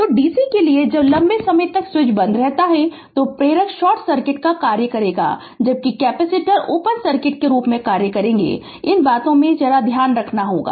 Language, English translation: Hindi, So, for for dc when switch is closed for long time inductor will act a short circuit whereas capacitor act as open circuit this things you have to keep it in your mind